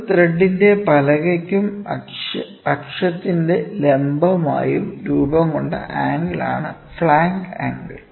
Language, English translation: Malayalam, Next flank angle, it is the angle formed between a plank of a thread and the perpendicular to the axis